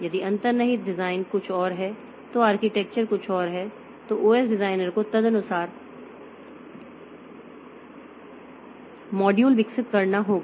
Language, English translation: Hindi, If underlying design is something else, the architecture is something else then the OS designer has to do the module development accordingly